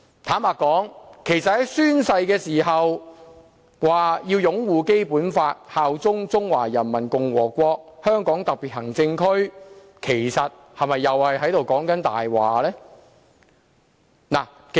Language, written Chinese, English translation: Cantonese, 坦白說，在宣誓的時候說會擁護《基本法》，效忠中華人民共和國香港特別行政區，其實又是否說謊呢？, Honestly was that actually a lie when he said that he would uphold the Basic Law and bear allegiance to the Hong Kong Special Administrative Region of the Peoples Republic of China when he took the oath?